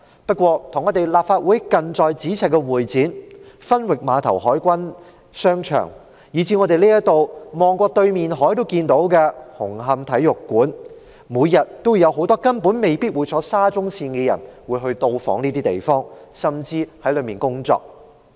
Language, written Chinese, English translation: Cantonese, 而與立法會近在咫尺的會展中心、分域碼頭海軍商場，以至在我們看到對岸的紅磡體育館，這些地方每天都有很多未必會乘搭沙中線的人到訪，甚至在裏面工作。, Apart from that many people who may not take SCL visit or work daily in the Convention and Exhibition Centre near the Legislative Council the Fleet Arcade at the Fenwick Pier and the Hong Kong Coliseum on the other side of the harbour that we can see